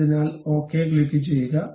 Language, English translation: Malayalam, So, then click ok